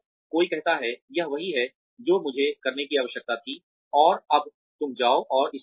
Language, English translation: Hindi, Somebody says, this is what I needed you to do, and now you go and do it